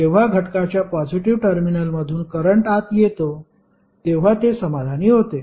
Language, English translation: Marathi, It is satisfied when current enters through the positive terminal of element